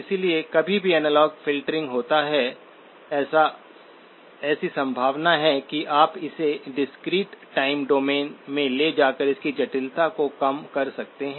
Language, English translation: Hindi, So anytime there is analog filtering, there is a possibility that you could reduce its complexity by moving it into the discrete time domain